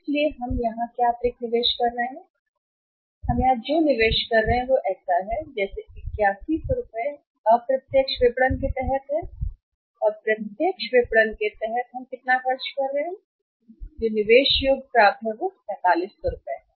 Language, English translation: Hindi, So, what additional investment we are making here additional investment we are making here is that is something like say 8100 this is under indirect marketing and under the direct marketing how much we were spending this is the the cost of the accounts receivables is investment in the account receivable is 4500 right